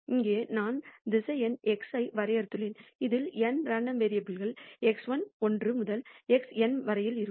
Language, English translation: Tamil, Here I have defined the vector x which consists of n random variables x one to x n